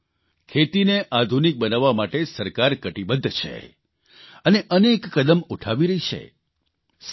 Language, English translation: Gujarati, Friends, the government is committed to modernizing agriculture and is also taking many steps in that direction